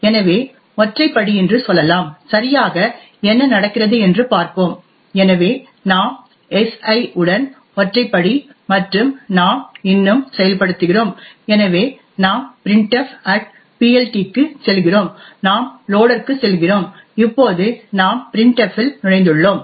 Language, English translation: Tamil, So let us say single step and see what exactly is happening, so we single step with si and so we are still executing we are going into printf@PLT, we are going into loader and we have now entered into printf